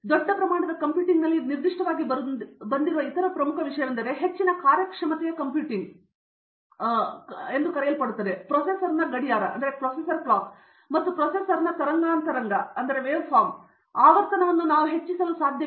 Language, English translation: Kannada, The other important thing that has come up specifically in large scale computing, what you called as high performance computing is that, we could not increase the frequency of the processor, clock frequency of the processor